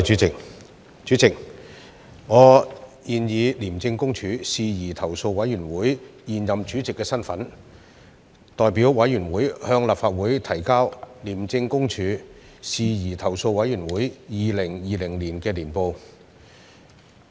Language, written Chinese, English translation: Cantonese, 主席，我現以廉政公署事宜投訴委員會現任主席的身份，代表委員會向立法會提交"廉政公署事宜投訴委員會二零二零年年報"。, President as the incumbent Chairman of the Independent Commission Against Corruption Complaints Committee I hereby table the ICAC Complaints Committee Annual Report 2020 on behalf of the Committee